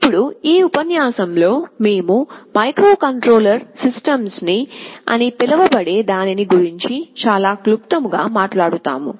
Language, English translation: Telugu, Now in this lecture, we shall be talking about something called Control Systems very briefly